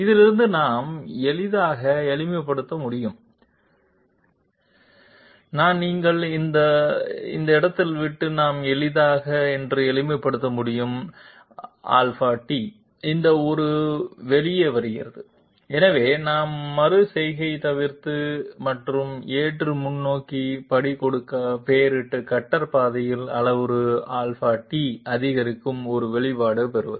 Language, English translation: Tamil, From this one we can easily simplify, I am leaving this to you we can easily simplify that Delta t comes out to be this one, so we are avoiding iteration and getting an expression of Delta t increment of parameter along the cutter path in order to give acceptable forward step